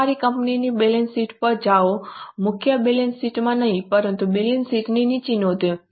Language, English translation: Gujarati, Go to the balance sheet of your company, not in the main balance sheet but below the balance sheet there are notes